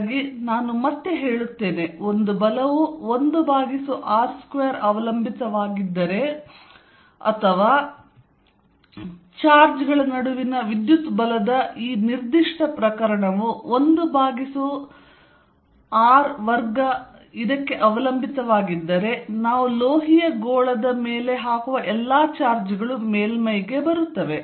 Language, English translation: Kannada, So, I state again if a force is 1 over r square dependent or if this particular case of the electric force between charges is 1 r square dependent, all the charges that we put on a metallic sphere will come to the surface